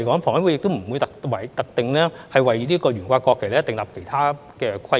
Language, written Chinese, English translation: Cantonese, 房委會亦不會特定為懸掛國旗訂立其他規則。, HKHA will not set any other rules specifically for the display of national flags